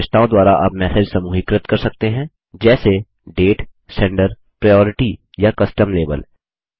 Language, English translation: Hindi, You can group messages by attributes such as Date, Sender,Priority or a Custom label